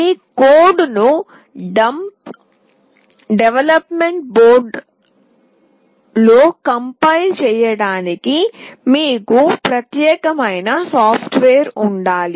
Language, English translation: Telugu, To compile your code into the development board you need that particular software